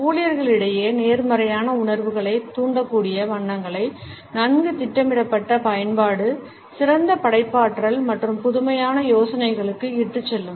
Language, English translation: Tamil, A well planned use of colors which are able to stimulate positive feelings amongst the employees would lead them to better creativity and innovative ideas